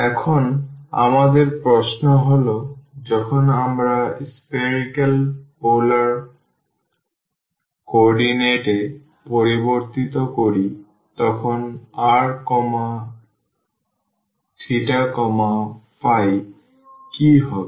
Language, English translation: Bengali, Now, our question is when we change into the; a spherical polar coordinates then what would be r theta and phi